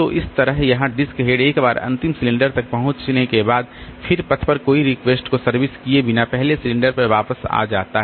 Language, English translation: Hindi, So, similarly here the disk head once it reaches the last cylinder then it comes back to the first cylinder without servicing any request on the path